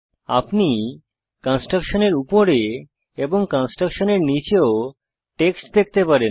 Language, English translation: Bengali, You can notice the text above the construction as well as below the construction